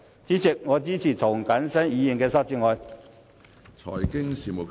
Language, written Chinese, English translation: Cantonese, 主席，我支持涂謹申議員的修正案。, President I support Mr James TOs amendment